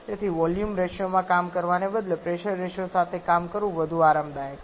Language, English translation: Gujarati, So, instead of working in volume ratio it is much more comfortable to work with the pressure ratio